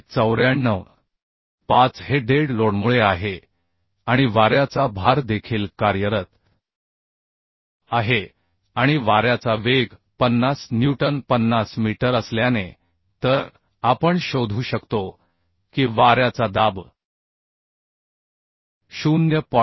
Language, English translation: Marathi, 5 this is due to dead load and also wind load is acting and as the wind speed is 50 meter so we can find out wind pressure wind pressure will be calculated as 0